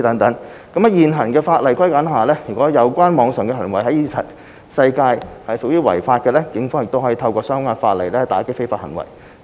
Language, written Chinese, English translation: Cantonese, 在現有法例框架下，如有關網上行為在現實世界屬違法的，警方可透過相關的法例打擊非法行為。, Under the existing legal framework if an act that would be illegal in the real world was committed online the Police can enforce the law with the relevant legislation